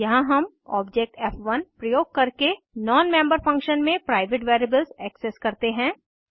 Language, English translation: Hindi, Here we access the private variables in non member function using the object f1